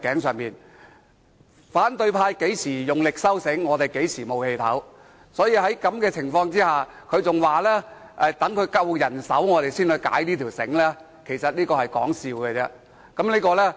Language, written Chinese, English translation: Cantonese, 只要反對派用力收緊繩子，我們便無法呼吸，所以他們說要待有足夠人手時才把繩子鬆開，我認為只是說笑而已。, When the opposition camp tightens the noose we can hardly breathe . They say that they will loosen the noose when more democratic Members join the Council . I think they are just joking